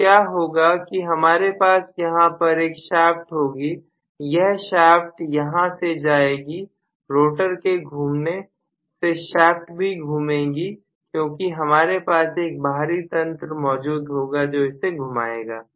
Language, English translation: Hindi, So what is going to happen is I will have actually a shaft here, the shaft will go through this right, through the rotor rotation the shaft will also rotate because of which I will have an external mechanism rotating